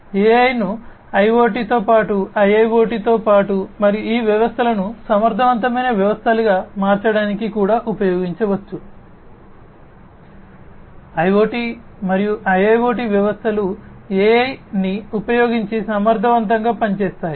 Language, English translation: Telugu, AI can be used in along with IoT, along with IIoT and also to transform these systems into efficient systems; IoT systems and IIoT systems efficient using AI